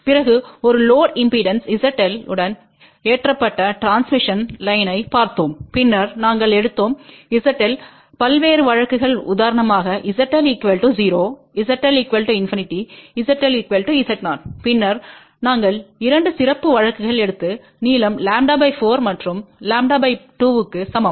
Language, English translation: Tamil, After that we looked intotransmission line loaded with a load impedance Z L, then we took different cases of Z L for example, Z L equal to 0, Z L equal to infinity, Z L equal to Z 0, and then we took 2 special cases of length equal to lambda by 4 and lambda by 2